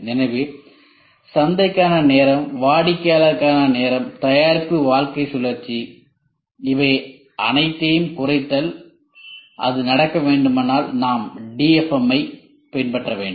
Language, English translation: Tamil, So, time to market, time to customer, product lifecycle, reduction all these things if it has to happen we have to follow DFM